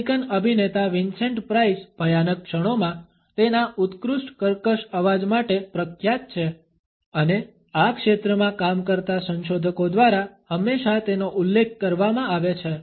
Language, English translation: Gujarati, The American actor Vincent Price is famous for his excellent creaky voice in menacing moments and it has always been referred to by researchers working in this area